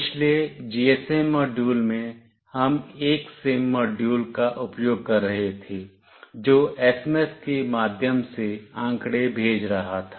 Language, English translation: Hindi, In previous GSM module, we were using a SIM module that was sending the data through SMS